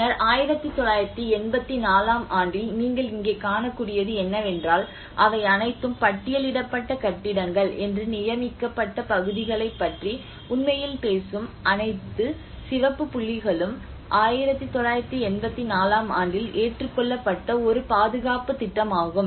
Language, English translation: Tamil, And then in 1984 what you can see here is like it is all the red dots which are actually talking about the designated areas you know they are all the listed buildings around, and there is a conservation plan which has been adopted in 1984